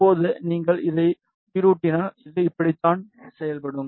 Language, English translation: Tamil, Now, if you animate this, this is how it will behave